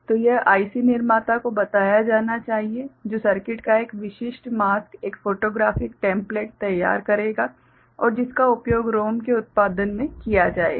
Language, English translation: Hindi, So, it has to be told to the IC manufacturer who will prepare a specific mask, a photographic template of the circuit and which will be used in the production of the ROM ok